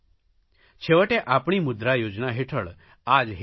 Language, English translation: Gujarati, This is our intention behind the MUDRA scheme